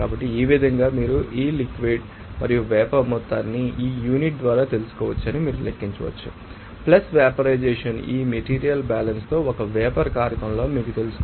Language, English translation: Telugu, So, in this way you can calculate what should be that you know our liquid and vapor amount by this unit + vaporization you know condition in a vaporizer with this material balance